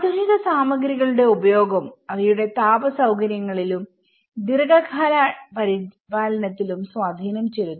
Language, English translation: Malayalam, The usage of modern materials also had an impact on their thermal comforts and the long run maintenance